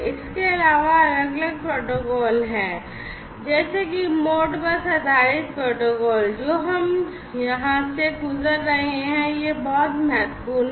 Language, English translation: Hindi, And, also there are different protocols such as the Modbus based protocols have been proposed to which we are going to go through because this is very important you know